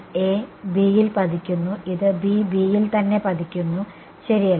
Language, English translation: Malayalam, A falling on B this is B falling on B right